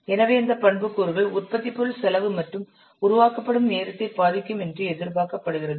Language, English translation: Tamil, So these attributes are expected to affect the cost and development time of your product